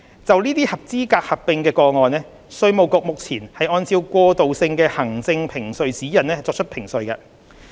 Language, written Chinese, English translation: Cantonese, 就這些合資格的合併個案，稅務局目前按照過渡性行政評稅指引作出評稅。, At present the Inland Revenue Department IRD makes assessments on qualifying amalgamation cases in accordance with the interim administrative assessment practice